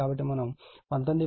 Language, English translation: Telugu, So, we that is 19